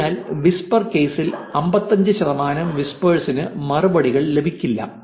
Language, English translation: Malayalam, 55 percent of the replies, 55 percent of the whispers don't get a reply